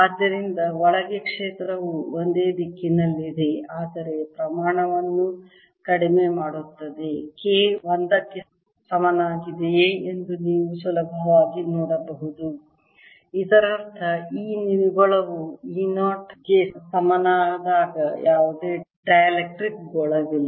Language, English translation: Kannada, so field inside is a, still in the same direction, but reduces in the amount you can easily see if k equals one, that means there is no dielectric sphere when e net is same as the e zero, as must be the case